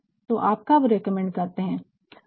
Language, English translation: Hindi, So, when you recommend